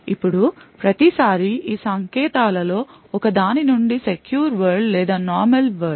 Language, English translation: Telugu, So, whenever there is an instruction from one of these worlds either the secure world or normal world